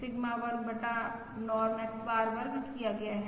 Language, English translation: Hindi, Sigma square divided by Norm X bar square